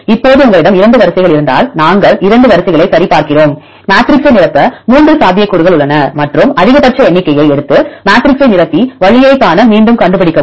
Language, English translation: Tamil, Now, if you have 2 sequences we check the 2 sequences and there are 3 possibilities to fill the matrix and take the maximum number and fill the matrix and trace back to see the route